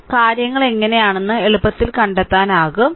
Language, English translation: Malayalam, So, you can easily make out that how things are